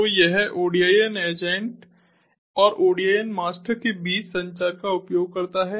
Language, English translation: Hindi, so it uses the communication between ah, the odin agent and the odin master